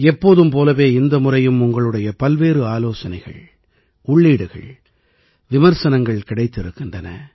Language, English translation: Tamil, As always, this time too we have received a lot of your suggestions, inputs and comments